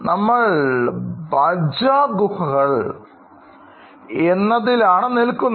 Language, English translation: Malayalam, We are right now in Bhaja Caves